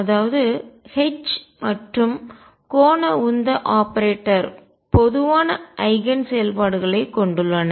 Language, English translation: Tamil, That means, that the H and angular momentum operator have common eigen functions